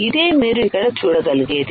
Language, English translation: Telugu, This is what you can see here